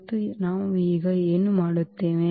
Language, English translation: Kannada, And what we do now